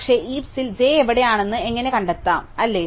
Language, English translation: Malayalam, But how do we find where j is in the heap, right